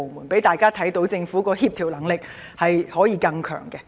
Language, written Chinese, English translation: Cantonese, 請讓大家看到政府的協調能力可以更強。, Please show everyone that the Government can have stronger coordination power